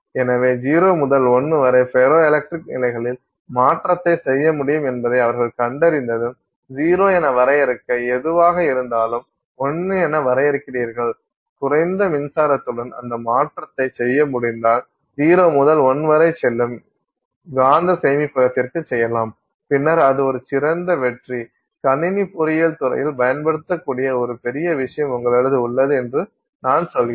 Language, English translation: Tamil, So, it turns out when once they discovered that you can do a change in ferroelectric states from 0 to 1, whatever you call define as 0 to whatever you define as 1, if you can do that change with less electricity than you can do for a magnetic storage going from 0 to 1 then clearly that's a great winner